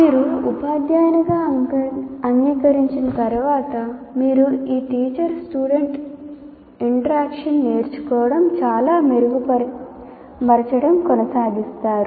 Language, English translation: Telugu, Once you accept that, as a teacher, we will continue to learn or improve upon this teacher student interaction